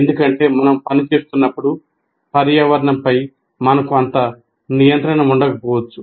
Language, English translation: Telugu, Because when we are working, we may not have that much control over the environment